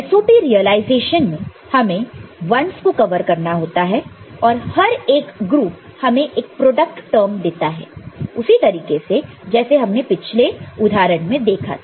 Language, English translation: Hindi, So, in the SOP realization all though 1’s need to be covered, and each group will give us one product term the way you had seen in the previous example